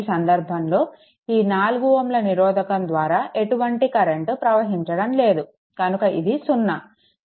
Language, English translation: Telugu, In this case there is no current flowing through this 4 ohm resistance is 0